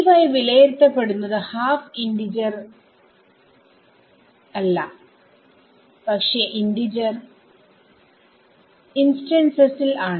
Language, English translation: Malayalam, E y is being evaluated at not half integer is next, but at integer instants right